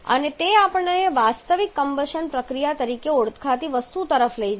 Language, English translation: Gujarati, And that takes us to something called the actual combustion process